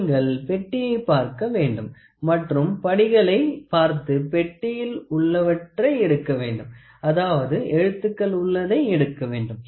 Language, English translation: Tamil, So, you have to look at the box, you have to look at the steps here available and then you have to pick whatever is there in the box you just have to pick with the letters one